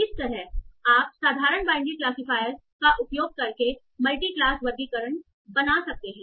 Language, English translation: Hindi, That's how you can build multi classification by using simple binary classifiers